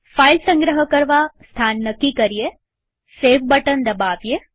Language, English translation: Gujarati, Choose the location to save the file